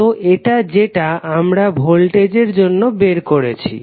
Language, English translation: Bengali, So that is what we have derived for voltage